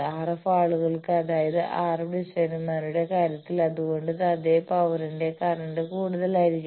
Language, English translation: Malayalam, For RF people, that is why the current for the same power the current will be higher in case of RF designers